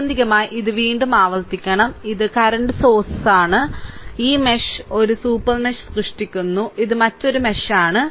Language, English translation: Malayalam, So, ultimately your this is I should repeat again, this is a current source between this mesh and this mesh creating a super mesh also, this is another mesh, this is another mesh